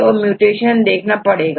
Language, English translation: Hindi, So, what is the mutation